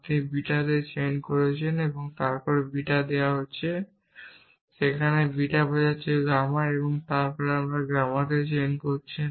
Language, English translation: Bengali, So, the right end side given alpha, you are chaining into beta then given beta there is beta implies gamma then you chaining into gamma